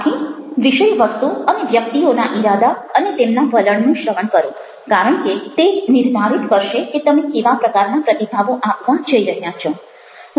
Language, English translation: Gujarati, so listen for content, the intent that this people have and their attitude, because this will decide how you are gone to response to them